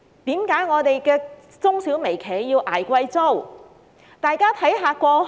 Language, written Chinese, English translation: Cantonese, 為何我們的中小微企要捱貴租？, Why do our micro small and medium enterprises have to pay exorbitant rents?